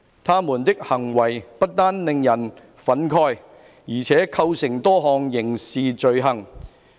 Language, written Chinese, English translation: Cantonese, 他們的行為不單令人憤慨，而且構成多項刑事罪行。, Their behaviour not only infuriated the public but also constituted several criminal offences